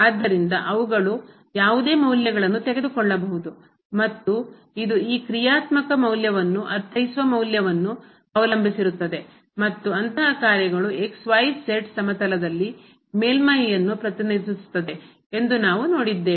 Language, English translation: Kannada, So, they can take any values and this that depends on the value of the I mean this functional value here and we have also seen that such functions represent surface in the xyz plane